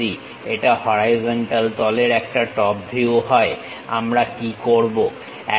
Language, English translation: Bengali, If it is a top view the horizontal face what we are going to do